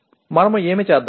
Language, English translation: Telugu, What do we do